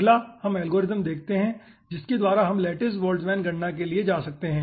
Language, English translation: Hindi, okay, next let us see the algorithm by which we can go for lattice boltzmann calculation